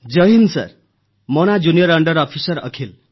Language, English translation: Odia, Jai Hind Sir, this is Junior under Officer Akhil